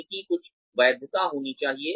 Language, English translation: Hindi, There should be, some validity to them